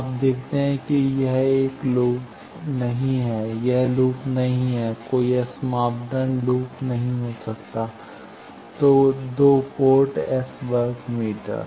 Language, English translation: Hindi, You see this is not a loop, this is not a loop no S parameter can be a loop, 2 port S square meter